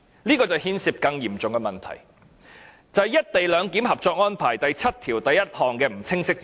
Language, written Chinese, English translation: Cantonese, 這牽涉一項更嚴重的問題，就是"一地兩檢"《合作安排》第七1條的不清晰之處。, This involves another serious concern and that is the ambiguity in Article 71 of the Co - operation Arrangement for the co - location arrangement